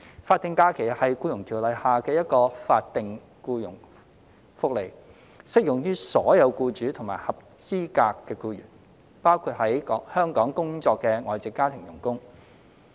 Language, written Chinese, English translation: Cantonese, 法定假日是《僱傭條例》下的一項法定僱傭福利，適用於所有僱主和合資格僱員，包括在港工作的外籍家庭傭工。, SHs are statutory employment benefit under EO and apply across the board to all employers and eligible employees including foreign domestic helpers FDHs working in Hong Kong